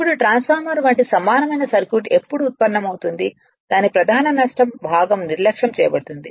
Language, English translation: Telugu, Now, the when will derive that equivalent circuit like transformer its core loss component is neglected